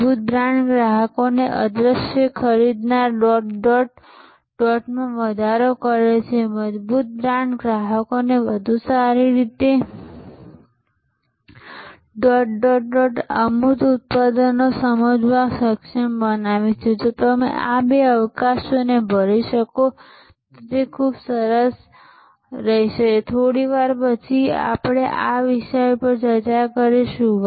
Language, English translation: Gujarati, Strong brands increase customer dot, dot, dot of the invisible purchase strong brand enable customers to better dot, dot, dot and understand intangible products, if you can fill up these two gaps, that will be great and will discuss this one a little later one more time later on